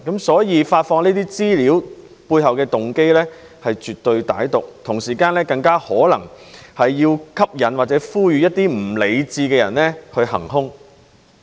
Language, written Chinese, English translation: Cantonese, 所以，發放這些資料的背後動機，是絕對歹毒的，更可能是要吸引或呼籲一些不理智的人行兇。, Hence the intention behind releasing such information is absolutely malicious and to attract or appeal to irrational people to perform evil - doings